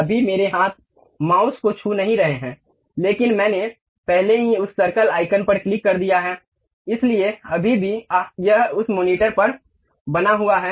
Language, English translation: Hindi, Right now my hands are not touching mouse, but I have already clicked that circle icon, so still it is maintaining on that monitor